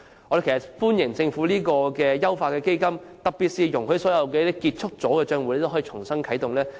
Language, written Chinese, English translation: Cantonese, 我們歡迎政府優化此基金，特別是容許所有結束帳戶可以重新啟動。, We welcome the Governments move to optimize CEF especially allowing all closed accounts to be re - activated